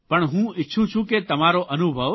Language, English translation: Gujarati, But I want this experience of yours